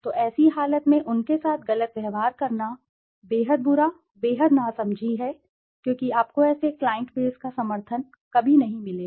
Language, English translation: Hindi, So in such a condition treating them unfairly is extremely bad, extremely unwise because you would never get support from such a client base